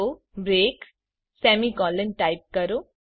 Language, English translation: Gujarati, So type break semicolon